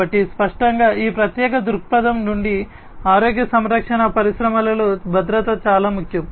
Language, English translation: Telugu, So; obviously, in healthcare industry from this particular viewpoint security is very important